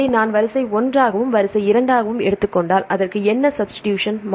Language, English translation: Tamil, I to A; if I take this as sequence 1 and this as sequence 2 then what is the substitution a to; I